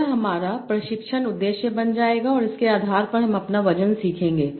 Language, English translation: Hindi, This will become my training objective and based of that I will learn my weights